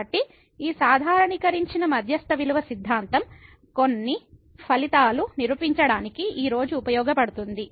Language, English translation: Telugu, So, this generalized mean value theorem will be used today to prove sum of the results